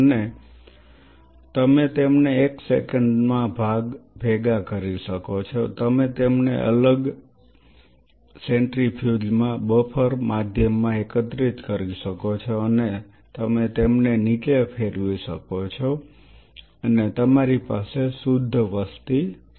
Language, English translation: Gujarati, And you can collect them in a you can one second you can collect them in a different centrifuge to in a buffer medium and you can spin them down and you have a pure population